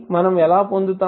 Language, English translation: Telugu, How we will get